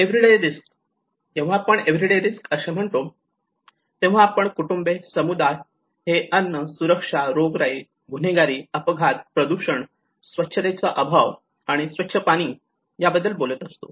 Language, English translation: Marathi, Everyday risk, so when we say everyday risk, we are talking about households and communities exposed to foods, insecurity, disease, crime, accidents, pollution, lack of sanitation and clean water